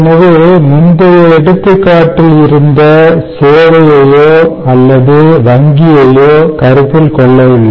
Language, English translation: Tamil, ok, so from the previous example, we have not considered service or banking at this point